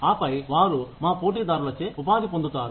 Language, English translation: Telugu, And then, they become employable, by our competitors